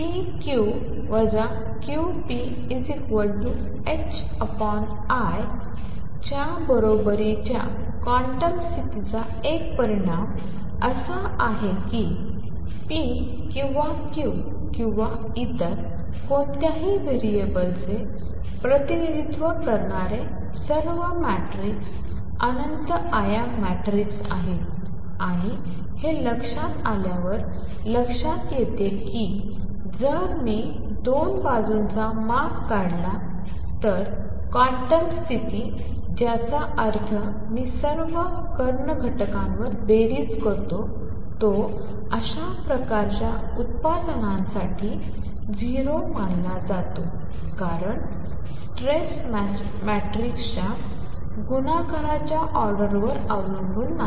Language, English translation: Marathi, One consequence of the quantum condition that p q minus q p is equal to h cross over i times the identity matrix is that all matrices representing p or q or any other variable are infinite dimension matrix and that is seen by realizing that if I take the trace of 2 sides of the quantum condition which means i sum over all the diagonal elements, it is supposed to be 0 for such kind of product because the trace does not depend on the order of multiplication of matrices